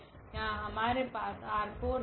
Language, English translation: Hindi, So, for instance here we have this R 4